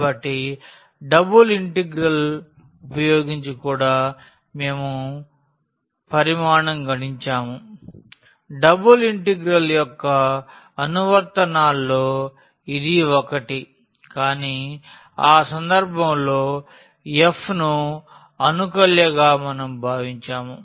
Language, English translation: Telugu, So, using the double integral also we have computed the volume that was one of the applications of the double integral, but in that case we considered that f in the integrand